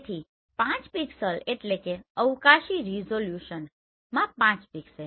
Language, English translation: Gujarati, So 5 pixel that means 5 pixel into spatial resolution right